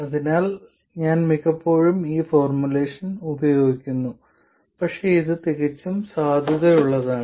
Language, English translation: Malayalam, So, I just use this formulation most of the time, but this is perfectly valid